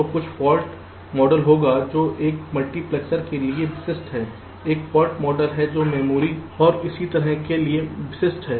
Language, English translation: Hindi, so there will be some fault model that is specific to a multiplexer, there is a fault model that is specific to a memory and so on